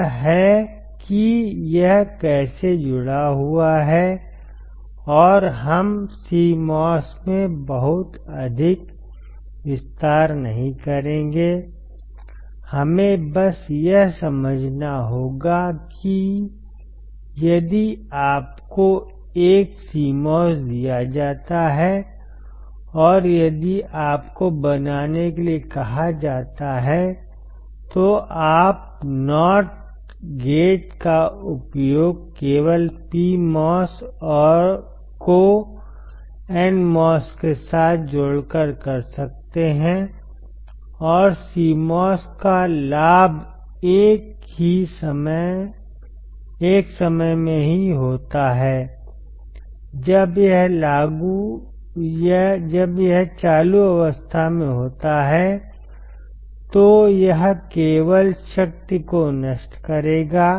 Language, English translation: Hindi, It is how it is connected and we will not go too much detail into CMOS, we have to just understand that if you are given a CMOS and if you are asked to form a not gate, you can use a not gate by just attaching PMOS to N mos, and the advantage of CMOS is at one time only it will only dissipate the power when it is in the on state